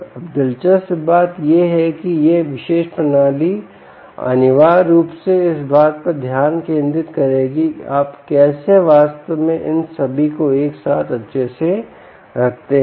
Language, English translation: Hindi, now the interesting part is this particular ah um ah system essentially will focus on how do you actually put together all of this